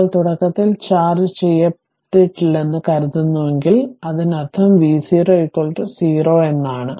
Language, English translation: Malayalam, Now, if it is assuming that initially uncharged, that means V 0 is equal to 0